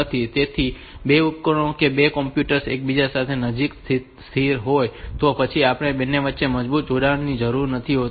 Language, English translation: Gujarati, So, with their devices that two computers are located close to each other then we do not need soap rigorous connection between them